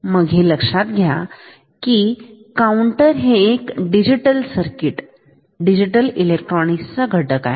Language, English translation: Marathi, So, note that a counter it is a digital circuit digital electronic electronics element